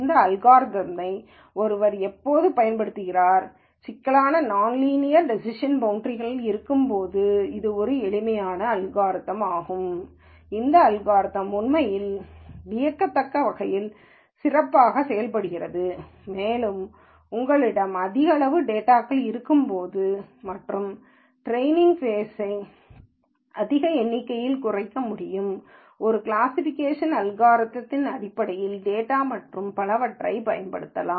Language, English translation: Tamil, And when does one use this algorithm, this is a simple algorithm when there are complicated non linear decision boundaries, this algorithm actually works surprisingly well, and when you have large amount of data and the train phase can be bogged down by large number of data in terms of an optimization algorithm and so on then you can use this